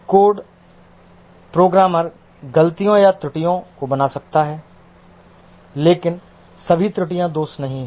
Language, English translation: Hindi, The code, the programmer may make mistakes or errors, but all errors are not faults